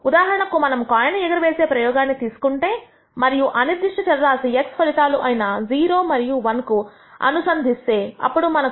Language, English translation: Telugu, For ex ample, if we take the coin toss experiment and associate a random variable x whose outcomes are 0 and 1, then we associate a probability for x is equal to 0